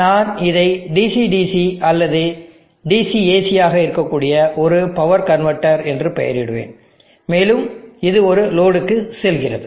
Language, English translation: Tamil, So I will just name it as a power convertor which could be DC DC or DC AC, and goes to a load